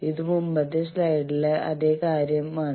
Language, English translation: Malayalam, So, this is the last slide